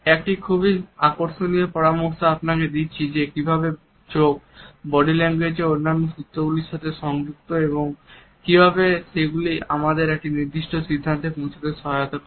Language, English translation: Bengali, A very interesting we do you suggest how eyes are connected with other cues from body language and how they help us to reach a particular conclusion